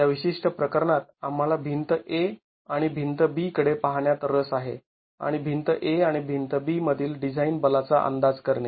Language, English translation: Marathi, In this particular case we are interested in looking at wall A and wall B and estimate the design forces in wall A and wall B